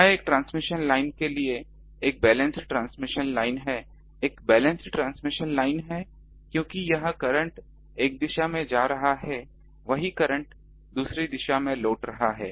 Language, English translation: Hindi, This is a balance transmission line to a transmission line is a balance transmission line because current is going here in one direction the same current is returning in the other direction